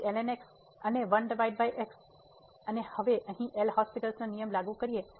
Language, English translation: Gujarati, So, and 1 over x and now apply the L’Hospital rule here